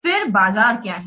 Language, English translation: Hindi, Then what is the market